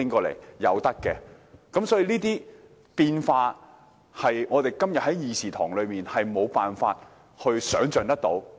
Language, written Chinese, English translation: Cantonese, 凡此種種的變化，是我們今天在議事堂內無法設想的。, All such changes are beyond our imagination in the Chamber today